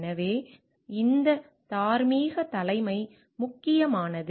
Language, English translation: Tamil, So, that is where this moral leadership is important